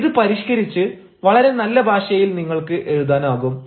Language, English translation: Malayalam, so this can be revised and you can write it in a very positive language